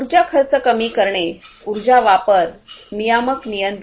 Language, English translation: Marathi, Reducing energy expenses, energy usage, regulatory control